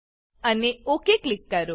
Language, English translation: Gujarati, and Click OK